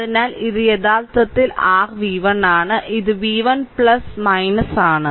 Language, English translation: Malayalam, So, this is actually your v 1 this is v 1 say plus minus